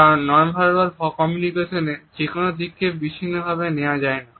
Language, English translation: Bengali, Because, any aspect of non verbal communication cannot be taken in isolation